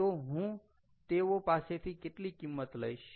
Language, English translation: Gujarati, how much am i going to charge